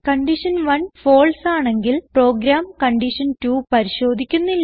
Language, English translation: Malayalam, If condition 1 is false, then the program will not check condition2